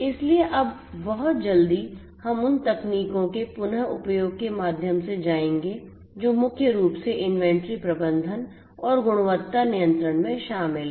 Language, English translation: Hindi, So, now very quickly we will go through as a recap of the technologies that are involved primarily in inventory management and quality control